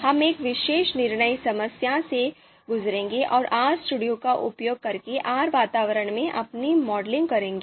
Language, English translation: Hindi, So we will go through a particular problem a particular decision problem and do our modeling in R environment using RStudio